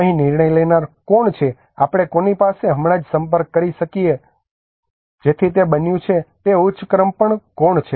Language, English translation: Gujarati, Who is the decision maker here whom can we approach right so there is become who is on the higher order